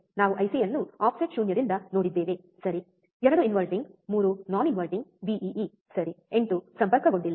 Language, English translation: Kannada, We have seen the IC from one which is offset null, right 2 inverting 3 non inverting Vee, right 8 is not connected